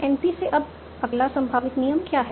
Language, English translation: Hindi, Now, from NP, what is the next possible rule